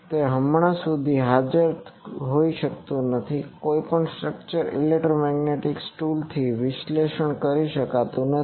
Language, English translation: Gujarati, It cannot be at presence till now cannot be analyzed with any structure electromagnetic tool